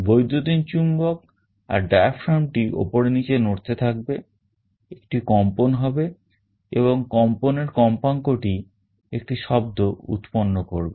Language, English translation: Bengali, The electromagnet as well as the diaphragm will be moving up and down, there will be a vibration and the frequency of vibration will generate a sound